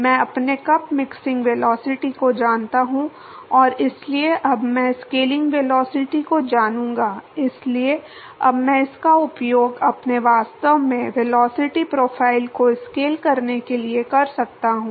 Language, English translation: Hindi, I know my cup mixing velocity and so I will, now know the scaling velocity so now I can use that to scale my actually velocity profile